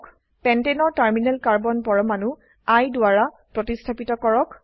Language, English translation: Assamese, Replace the terminal Carbon atoms of Pentane with I